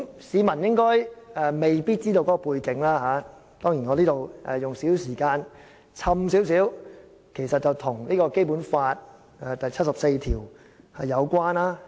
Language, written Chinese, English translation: Cantonese, 市民未必清楚背景，我在此花少許時間解釋，這其實和《基本法》第七十四條有關的。, Members of the public may not be clear about the background . I will spend some time here to give an explanation and this is in fact related to Article 74 of the Basic Law